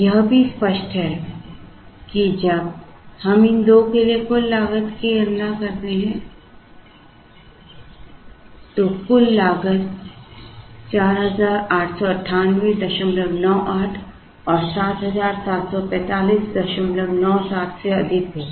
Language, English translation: Hindi, It is also obvious that when we compute the total cost for these 2 the total cost will be higher than 4898